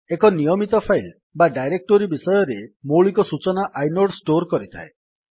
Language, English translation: Odia, Inode stores basic information about a regular file or a directory